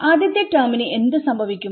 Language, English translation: Malayalam, What happens to the first term